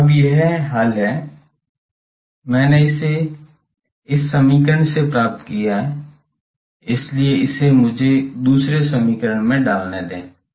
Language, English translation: Hindi, So, now, this solution is, I have obtained it from this equation, so let it put me in the other equation